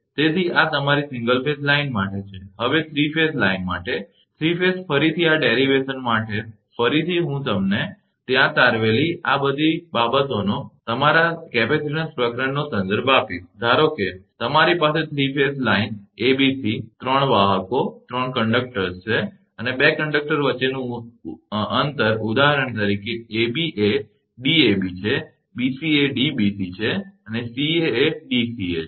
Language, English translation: Gujarati, So, this is for your single phase line, now for 3 phase line, 3 phase again this derivation again, I will refer to your capacitance chapter all this things derived there, suppose you have a 3 phase line abc 3 conductors are there and distance between the 2 conductors, is for example, ab is Dab, bc is Dbc and ca is Dca